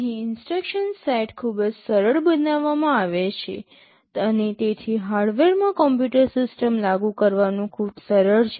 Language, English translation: Gujarati, Here the instruction set is made very simple, and so it is much easier to implement the computer system in hardware